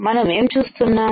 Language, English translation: Telugu, So, what will I see